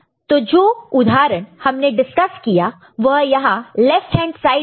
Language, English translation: Hindi, So, the example that was discussed is over here in the left hand side